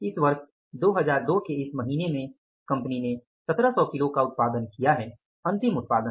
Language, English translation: Hindi, In this year in this month of the year 2002 the company produced 1,700 kgs of output, final output